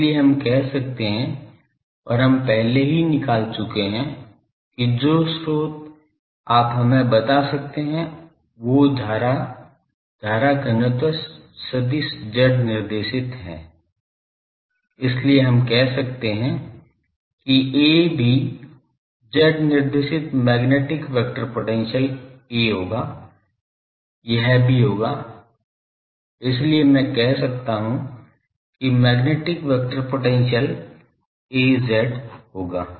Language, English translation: Hindi, So, we can say the and we have already found that the source that you can let us know that the current, current density vector is z directed, so we can say that A also will be z directed magnetic vector potential A that will be also, so I can say that magnetic vector potential will be A z